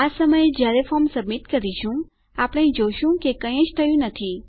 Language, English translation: Gujarati, At the moment when we submit our form, we see that nothing really happens